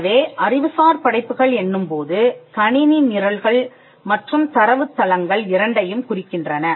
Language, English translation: Tamil, So, intellectual creations refer to both computer programs and data bases